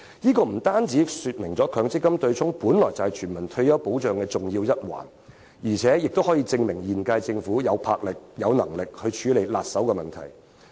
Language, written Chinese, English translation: Cantonese, 鑒於取消強積金對沖為全民退休保障的重要一環，平息爭議可證明現屆政府具有魄力和能力處理棘手的問題。, Given that abolishing the MPF offsetting arrangement is an important issue in respect of universal retirement protection duly settling the controversy can serve as a proof that the current - term Government has both the resolution and ability to deal with any thorny issues